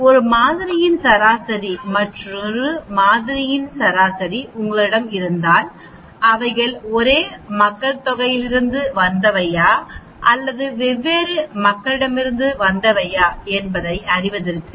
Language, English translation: Tamil, If the mean of one sample and you have a mean of another sample, you want to know whether they come from the same population or they come from different population and so on actually